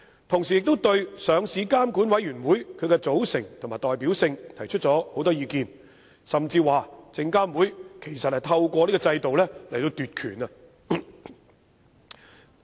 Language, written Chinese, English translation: Cantonese, 同時，他們亦對上市監管委員會的組成和代表性提出了很多意見，甚至指證監會其實是想透過此制度奪權。, At the same time they have put forth various views on LRCs composition and representativeness and even criticized that SFC actually intends to seize power through this regime